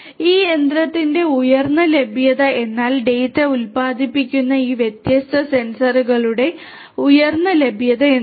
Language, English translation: Malayalam, High availability of this machinery means that high availability of these different sensors which produce data